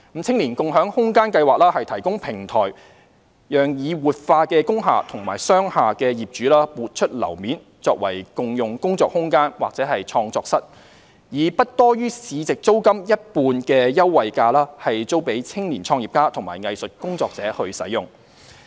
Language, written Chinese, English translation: Cantonese, "青年共享空間計劃"提供平台，讓已活化工廈和商廈的業主撥出樓面作為共用工作空間或創作室，以不多於市值租金一半的優惠價租予青年創業家和藝術工作者使用。, SSSY provides a platform for the owners of revitalized industrial buildings and commercial buildings to contribute floor areas for the operation of co - working space or studios to support young entrepreneurs and artists at rental of not more than 50 % of comparable market rental